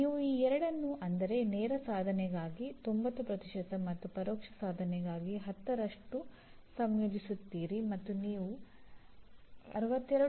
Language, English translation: Kannada, And you combine these two by 90% for direct attainment and 10% for indirect attainment and you have the third column that is showing 62